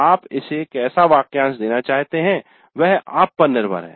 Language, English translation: Hindi, The way you want to phrase it is up to you